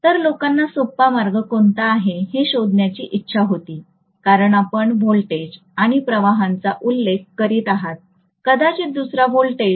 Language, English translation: Marathi, So people wanted to find out what is the easier way out, because you are mentioning voltages and currents, maybe another voltage something is here, I may mention the voltage like this